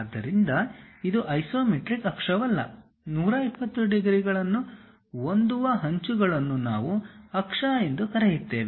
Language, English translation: Kannada, So, they are not isometric axis; whatever the edges that make 120 degrees, we call them as axis